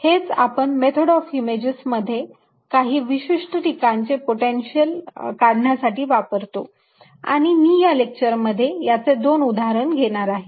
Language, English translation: Marathi, this is what we use in method of images to solve for the potential in certain specific cases and i am going to take two examples in this lectures